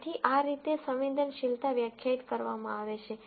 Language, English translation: Gujarati, So, this is how sensitivity is defined